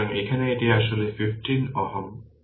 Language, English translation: Bengali, So, here it is actually 15 ohm right and this is 1 2